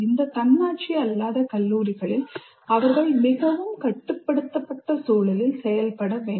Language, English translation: Tamil, In this non autonomous college, they have to operate in a very constrained environment